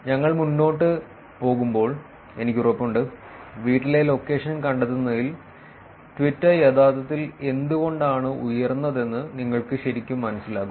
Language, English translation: Malayalam, I am sure as we move along; you will actually understand why Twitter is actually high in terms of finding out the home location